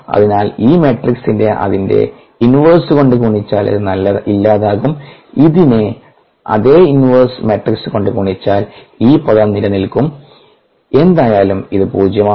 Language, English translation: Malayalam, so if we pre multiply this matrix, were this inverse, this will drop out, and pre multiple this with this same inverse matrix, this termremain, and anyway this is zero